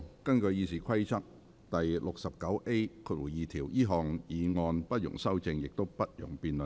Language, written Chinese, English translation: Cantonese, 根據《議事規則》第 69A2 條，這項議案不容修正，亦不容辯論。, In accordance with Rule 69A2 of the Rules of Procedure this motion shall be voted on without amendment or debate